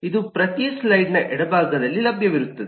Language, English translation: Kannada, this will be available on the left of every slide